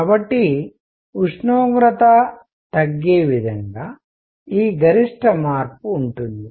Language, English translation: Telugu, So, this maximum shift in such a way as temperature goes down